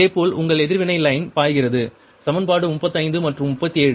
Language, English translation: Tamil, similarly, your reacting line flows we calculated from equation thirty five and thirty seven